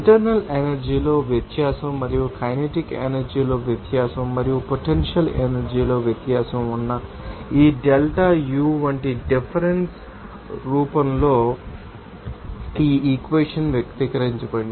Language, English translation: Telugu, And we can you know that, express this equation in this difference form here like this delta U that is a difference in internal energy and difference in kinetic energy and difference in potential energy